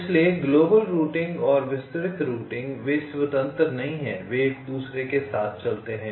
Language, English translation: Hindi, ok, so global routing and detailed routing, they are not independent, they go hand in hand